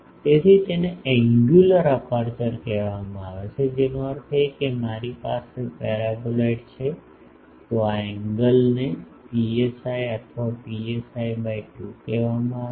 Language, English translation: Gujarati, So, that is called angular aperture that means, if I have a paraboloid so, this angle is called psi or psi by 2